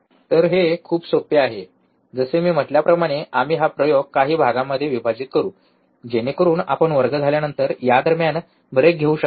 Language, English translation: Marathi, So, this is very easy so, like I said, we will break this experiment into few parts so, that you can take a break in between after you have the class